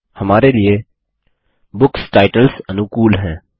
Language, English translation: Hindi, For us, book titles are friendlier